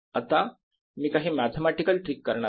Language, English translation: Marathi, now i am going to do some mathematical trick